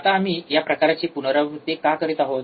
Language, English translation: Marathi, Now, why we are kind of repeating this thing